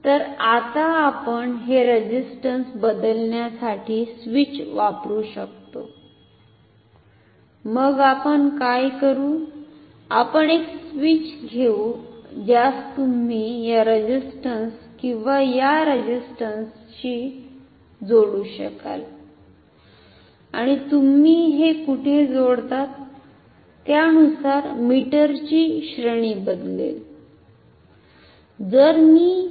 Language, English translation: Marathi, So, now, we can use a switch to change between this resistances so, what we will do, we will take a switch which you can either connect to this resistance or this resistance and depending on where you connect your mail at range of the meter will change